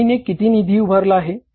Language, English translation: Marathi, How much funds have been raised by the company